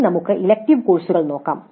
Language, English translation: Malayalam, Now let us look at the elective courses